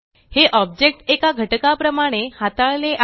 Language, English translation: Marathi, These objects are now treated as a single unit